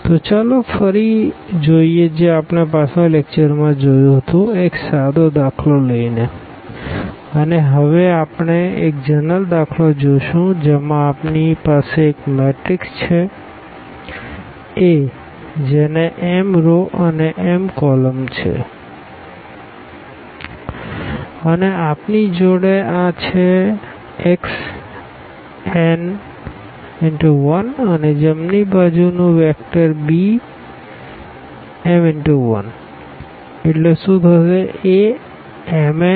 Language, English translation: Gujarati, So, let us just go back to this what we have done in the previous lecture with the help of simple example now we will consider a rather general example where we have matrix A which has m rows and n columns and then we have this x n by 1 and the right hand side vector of order this m cross 1